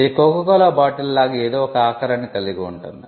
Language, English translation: Telugu, It can include shape of goods like the Coca Cola bottle